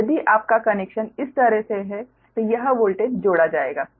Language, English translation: Hindi, so if you, if connection is like this, then this voltage we will be added right now